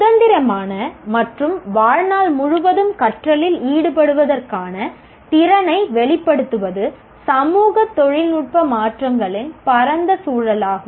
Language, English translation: Tamil, Demonstrate the ability to engage in independent and lifelong learning in the broadest context of socio technical changes